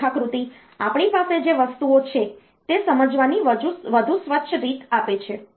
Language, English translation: Gujarati, So, this diagram gives a cleaner way of understanding like what are the things that we have